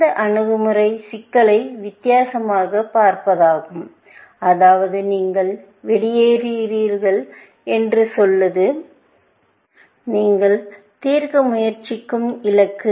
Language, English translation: Tamil, This approach is to view the problem differently, which is to say that you have outing as a; this is the goal that you trying to solve